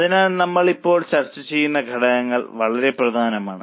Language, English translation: Malayalam, So, what we are discussing now, those factors become very important